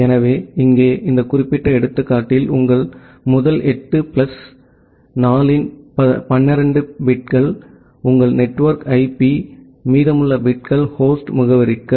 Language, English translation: Tamil, So, here in this particular example your this many number of first 8 plus 4 that 12 bits are your network IP, and the remaining bits are for the host address